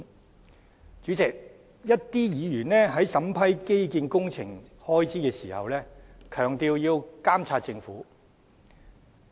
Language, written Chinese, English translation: Cantonese, 代理主席，一些議員在審批基建工程開支時強調要監察政府。, Deputy Chairman some Members stressed the need to monitor the Government when examining the expenditures for infrastructure projects